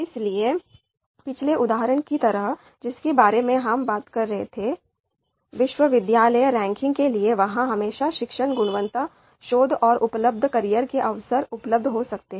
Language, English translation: Hindi, So you know just like you know the previous example that we were talking about you know about the university ranking, so there we might have teaching quality, research and the career opportunity that are available